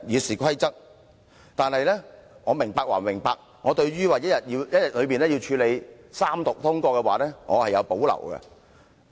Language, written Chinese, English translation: Cantonese, 不過，雖然我明白其用意，但對於要在一天之內處理三讀通過，我是有保留的。, However despite appreciating his intention I have reservations about having the Bill read the Third time and passed within one day